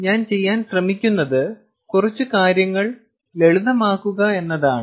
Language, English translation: Malayalam, all i am trying to do is simplify things a little bit